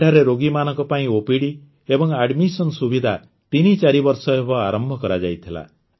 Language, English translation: Odia, OPD and admission services for the patients started here threefour years ago